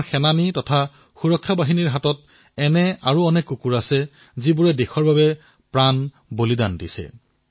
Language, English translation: Assamese, Our armed forces and security forces have many such brave dogs who not only live for the country but also sacrifice themselves for the country